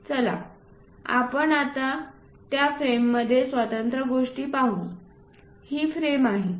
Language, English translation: Marathi, Now, let us look at the individual thing in that frame this is the frame